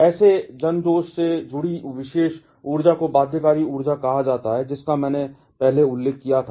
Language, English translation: Hindi, This particular energy associated with such mass defect is called the binding energy, which I mentioned earlier